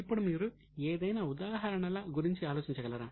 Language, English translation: Telugu, Now, can you think of any examples